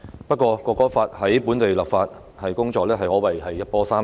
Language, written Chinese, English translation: Cantonese, 不過《國歌法》在本地的立法工作可謂一波三折。, However the local legislation of the National Anthem Law has encountered many twists and turns